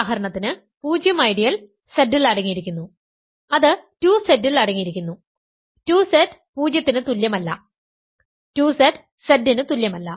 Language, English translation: Malayalam, Because 0 ideal for example, is contained in 2Z contained in Z and 2Z is not equal to 0, 2Z is not equal to Z